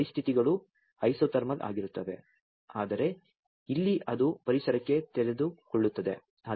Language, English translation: Kannada, Here the conditions are isothermal, but here as it is exposed to environment